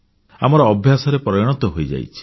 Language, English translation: Odia, We have become accustomed to them